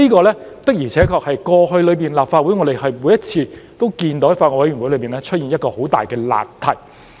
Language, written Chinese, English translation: Cantonese, 這的確是我們過去在立法會每次都見到法案委員會出現的一大難題。, This is in fact a huge problem that came to our notice at every BC meeting in the Legislative Council in the past